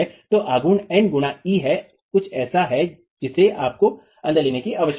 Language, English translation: Hindi, So moment is n into e is something that you need to bring in